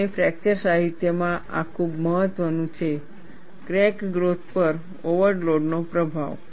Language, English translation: Gujarati, And this is very important, in the fracture literature Influence of overload in crack growth